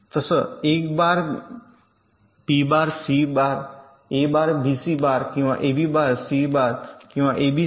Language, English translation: Marathi, so a bar, b, bar, c or a bar, b c bar, or a b bar, c bar or a b c